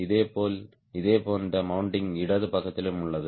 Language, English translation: Tamil, similarly, similar mounting is there on the left side also